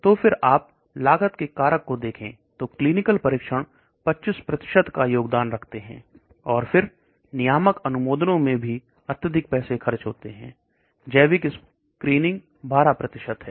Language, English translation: Hindi, So if you look at this cost factors clinical trials contributes to 25% and so on, then we are going to regulatory, authorities and that also going to cost a lot of money, biological screening 12%